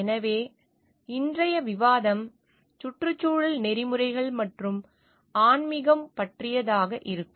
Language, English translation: Tamil, So, today s discussion will be about environmental ethics and spirituality